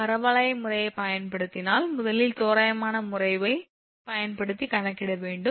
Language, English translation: Tamil, If you use parabolic method then first you have to calculate approximate method using